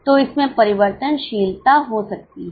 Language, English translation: Hindi, So, it may have a variability